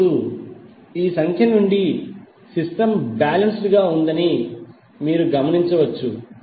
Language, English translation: Telugu, Now from this figure, you can observe that the system is balanced